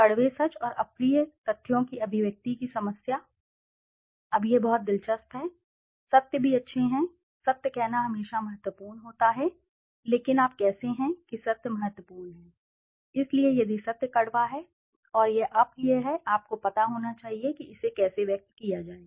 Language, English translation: Hindi, The problem of expression of bitter truths and unpleasant facts, now that is very interesting, also truths are good it is always important to say the truth but how do you say the truth is important, so if the truth is bitter and it is unpleasant you should know how to express it okay